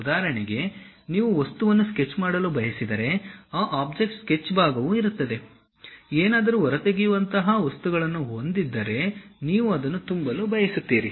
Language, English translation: Kannada, For example, you want to sketch the object, that object sketch portion will be there, you want to fill the material, something like extrude will be there